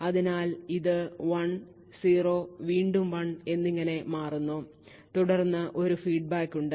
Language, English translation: Malayalam, So, this gets 0 gets inverted to 1 then 0 and then 1 again and then there is a feedback